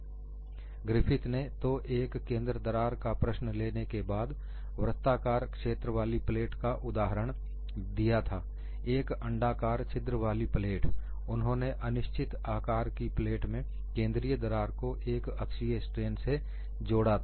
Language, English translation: Hindi, Griffith took the problem of a central crack following the example of a plate with the circular hole, a plate with the elliptical hole; he considered the problem of an infinite plate with the central crack subjected to uniaxial tension